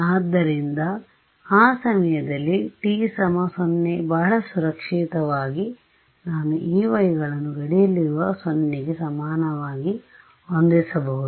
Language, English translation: Kannada, So, at time t is equal to 0 very safely I can set the E ys on the boundary to be equal to 0 right